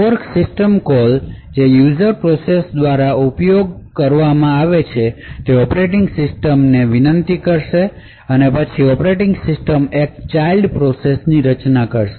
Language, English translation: Gujarati, The fork system called which is used by the user processes would invoke the operating system and then the operating system would create a child process